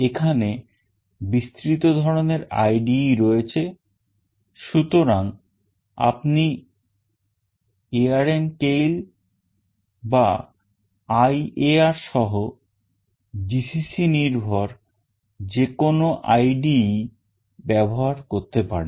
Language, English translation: Bengali, There is a wide range of choice of IDE, so you can also use ARM Keil or GCC based IDE’s including IAR